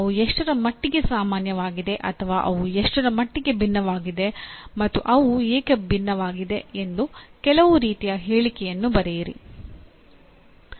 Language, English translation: Kannada, Write some kind of a statement to what extent they are common or to what extent they differ and why do they differ